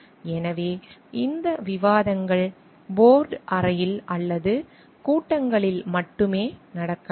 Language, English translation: Tamil, So, these such discussions may happen only in board room or in meetings